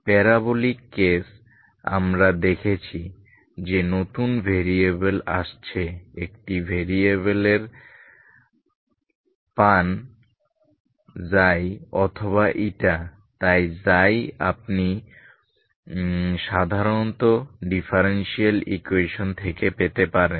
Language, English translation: Bengali, The parabolic case we have seen that new variables are coming only from, get one variable Xi or eta so Xi you can get from the partial from the ordinarily differential equation